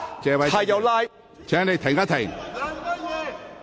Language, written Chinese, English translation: Cantonese, 謝偉俊議員，請稍停。, Mr Paul TSE please hold on